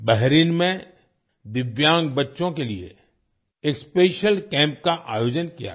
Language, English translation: Hindi, A special camp was organized for Divyang children in Bahrain